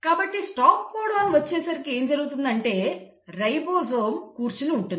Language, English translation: Telugu, So by the time it reaches the stop codon what has happened is, the ribosome is sitting